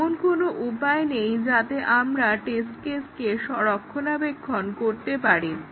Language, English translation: Bengali, There is no way we can maintain the test case